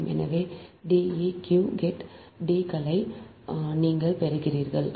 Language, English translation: Tamil, so deq, obtain d s also, you have obtain